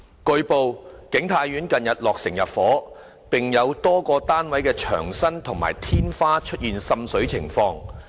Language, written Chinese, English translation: Cantonese, 據報，景泰苑近日落成入伙，並有多個單位的牆身及天花出現滲水情況。, It has been reported that King Tai Court has been completed for intake recently and water seepage has been found on the walls and ceilings of a number of flats